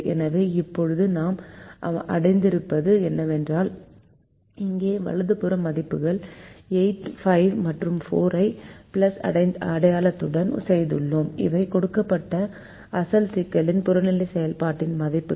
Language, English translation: Tamil, so now what we have achieved is we have done one thing: where the right hand side values here are eight, five and four with the plus sign, and this are exactly the objective function values of the given original problem